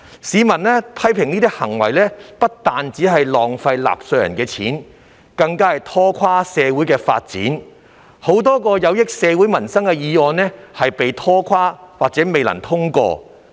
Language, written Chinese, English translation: Cantonese, 市民批評這些行為不單浪費了納稅人的金錢，更拖垮了社會發展，亦令許多有利社會民生的議案因而被拖垮或未能通過。, As criticized by the public these acts are not only a waste of taxpayers money but also a drag on societys development since a lot of motions beneficial to society and peoples livelihood have been delayed or failed to gain passage in the Council